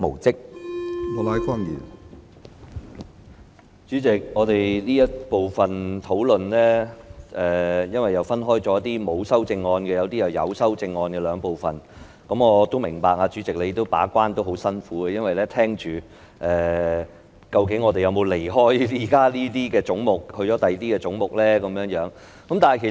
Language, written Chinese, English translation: Cantonese, 主席，這個討論環節因為涉及部分沒有修正案，以及部分有修正案的總目，我明白主席把關也很辛苦，因為要留意我們討論有關的總目時究竟有否離題討論其他總目。, Chairman since this discussion session involves some heads with no amendment and some others with amendments I appreciate that it is a harsh task for the Chairman to act as the gatekeeper since you have to pay attention to whether we have digressed from the relevant heads and discussed other heads